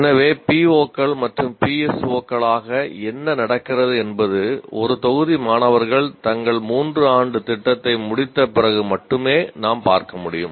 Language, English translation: Tamil, So what happens as POs and PSOs only we can look at after a batch of students complete their three year program